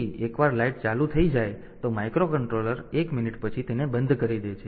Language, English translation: Gujarati, So, microcontroller after 1 minute it should turn it off